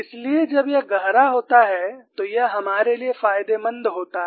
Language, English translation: Hindi, So, when it grows deeper, it is beneficial for us